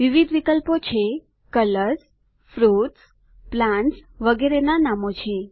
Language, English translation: Gujarati, The different options are names of colors, fruits, plants, and so on